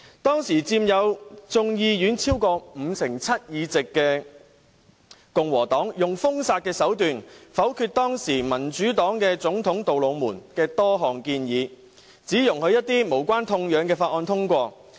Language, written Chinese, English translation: Cantonese, 當時，佔眾議院超過五成七議席的共和黨用封殺手段，否決民主黨總統杜魯門的多項建議，只容許一些無關痛癢的法案通過。, Occupying over 57 % of the seats in the House of Representatives the Republican Party voted down many proposals put forth by President TRUMAN from the Democratic Party with a banning tactic and only allowed the passage of some minor bills